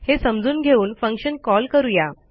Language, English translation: Marathi, Then we will start to call the function